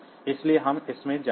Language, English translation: Hindi, So, we will go into that